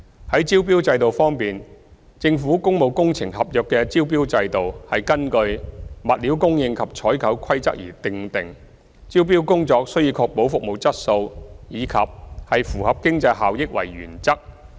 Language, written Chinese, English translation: Cantonese, 在招標制度方面，政府工務工程合約的招標制度是根據《物料供應及採購規例》而訂定，招標工作須以確保服務質素及符合經濟效益為原則。, The tendering system for the Governments public works contracts was established in accordance with the Stores and Procurement Regulations . The tendering exercise should be based on the principle of ensuring service quality and cost effectiveness